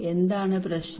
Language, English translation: Malayalam, What is the problem